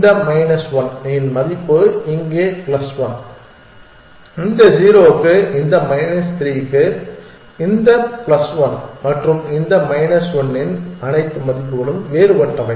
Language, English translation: Tamil, This one has a value of minus one here plus 1, 1 for this 0 for this minus 3 for this plus 1 for this and minus one for this all values is different